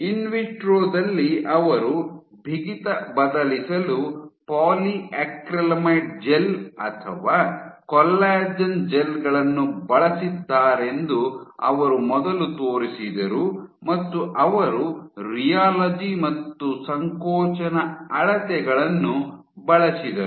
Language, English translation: Kannada, So, just like in vitro they used polyacrylamide gels or collagen gels to vary the stiffness, they used rheology and compression measurements